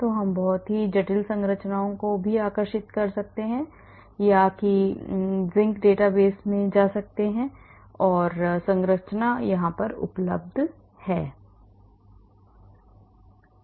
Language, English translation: Hindi, So, we can draw a very complex structures also or we can go to Zinc database and the structure is available